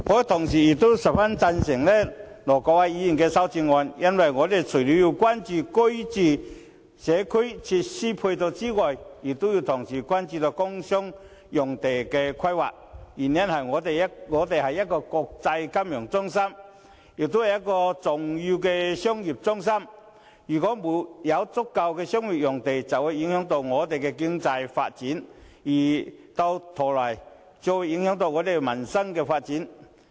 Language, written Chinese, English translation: Cantonese, 同時，我亦十分贊成盧偉國議員的修正案，因為我們除了要關注住屋及社區設施配套外，還要同時關注工商業用地的規劃，原因是香港是一個國際金融中心，也是重要的商業中心，沒有足夠的商業用地供應，會影響我們的經濟發展，繼而影響我們的民生發展。, At the same time I also fully support Ir Dr LO Wai - kwoks amendment . Apart from focusing on housing and community facilities we should also focus on the planning of sites for the industrial and commercial sectors . As Hong Kong is an international financial centre as well as an important commercial centre the inadequate commercial land supply will affect our economic development and consequently our livelihood